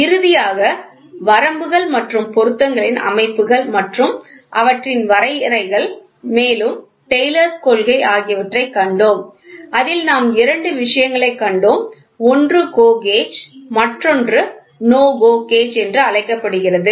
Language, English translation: Tamil, Then finally, we saw the systems of limits and fits, all the definitions of all those things and Taylors principle wherein which we saw two things one is GO gauge and another one is called as NO GO gauge